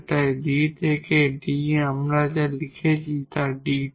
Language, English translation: Bengali, Here we will have D D so that will be D square